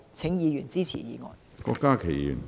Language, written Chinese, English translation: Cantonese, 請議員支持議案。, I implore Members to support the motion